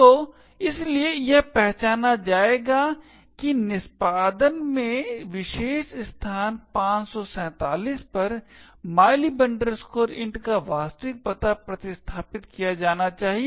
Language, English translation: Hindi, So, therefore it would identify that at locations, this particular location 547 in the executable the actual address of mylib int should be replaced